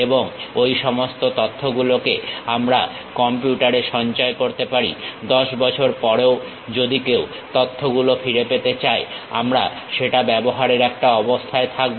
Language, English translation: Bengali, And, all that information we can store it in the computer; even after 10 years if one would like to recover that information, we will be in a position to use that